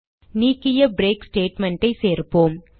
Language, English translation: Tamil, Let us now add the break statement we have removed